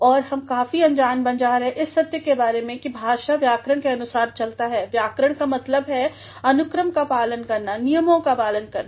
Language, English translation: Hindi, And, we become quite ignorant of the fact that language goes by grammar and grammar means following the sequence, following the rules